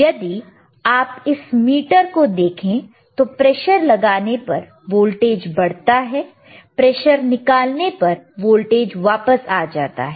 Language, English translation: Hindi, yYou look at this meter right, applying pressure increases voltage increases; , releasing the pressure voltage comes back